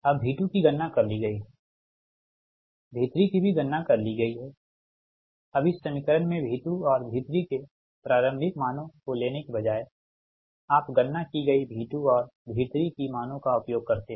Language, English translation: Hindi, now in this equation, in this equation, v two, instead of taking initial values of v two and v three, v two have computed, v three have computed both